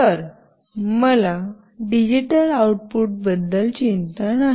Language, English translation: Marathi, So, I am not concerned about the digital output